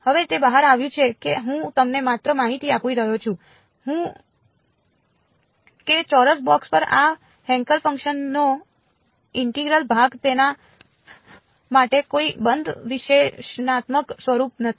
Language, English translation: Gujarati, Now it turns out I am just giving you information that the integral of this Hankel function over a square box there is no closed analytical form for it